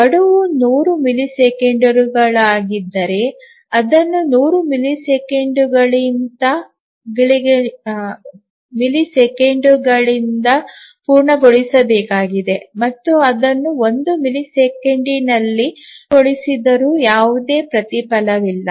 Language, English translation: Kannada, If the deadline is 100 millisecond then it needs to complete by 100 millisecond and there is no reward if it completes in 1 millisecond let us say